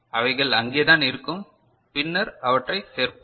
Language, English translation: Tamil, They are just there; later on we shall include them